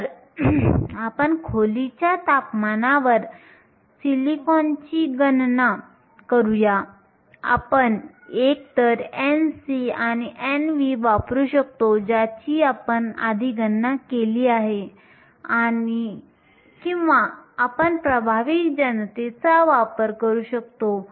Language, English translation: Marathi, So, let us do the calculation for silicon at room temperature, we can either use n c and n v that we calculated earlier or you can use the effective masses